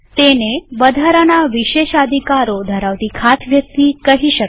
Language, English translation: Gujarati, He is a special person with extra privileges